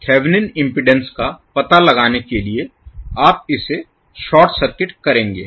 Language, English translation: Hindi, To find out the Thevenin impedance you will short circuit this